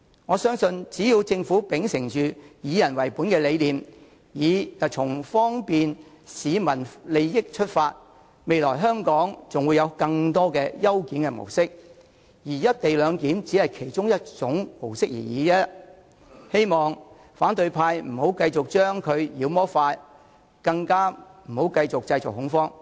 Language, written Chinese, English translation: Cantonese, 我相信只要政府秉承"以人為本"的理念，以方便市民利益為出發點，則未來香港還會有更多的優檢模式，而"一地兩檢"只是其中一種而已，希望反對派議員不要再將其妖魔化，更不要繼續製造恐慌了。, I am sure if the Government can uphold the people - oriented principle and take forward proposals in this respect with the ultimate aim of bringing convenience to the people more efficient modes of clearance will be adopted in Hong Kong in the future while the co - location arrangement will only be one of them . I hope opposition Members will no longer demonize the arrangement and neither should they continue to create panic